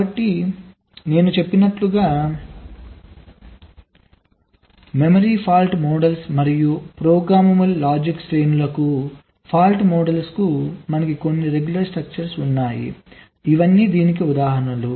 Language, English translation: Telugu, so, as i said, the memory fault models and also fault models per programmable logic arrays, we have some regular structures